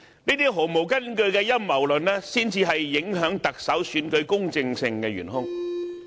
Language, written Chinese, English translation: Cantonese, 這些毫無根據的陰謀論才是影響特首選舉公正性的元兇。, These totally groundless conspiracy theories are the prime culprits affecting the fairness of the Chief Executive Election